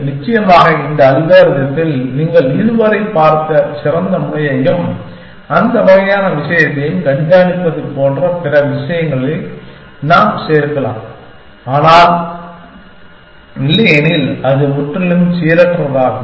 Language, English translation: Tamil, Of course, we can add on other stuff to this algorithm saying like keep track of the best node that you have seen so far and that kind of thing, but otherwise it is purely random essentially